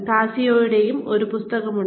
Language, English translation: Malayalam, There is a book by, Cascio